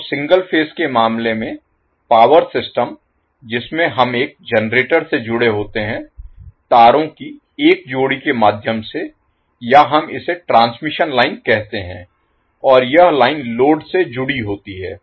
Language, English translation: Hindi, So, in case of single phase the power system we consist of 1 generator connected through a pair of wires or we call it as transmission line and this line is connected to load